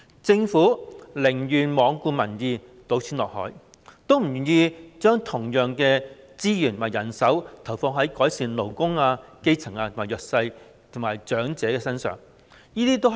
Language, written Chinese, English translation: Cantonese, 政府寧願罔顧民意、"倒錢落海"，都不願意將同樣的資源和人手投放在改善勞工、基層、弱勢社群和長者福祉等方面。, The Government has chosen to ignore public opinions . It would rather pour money into the sea than utilizing the same resources and manpower to improve such areas as labour grass roots disadvantaged and elderly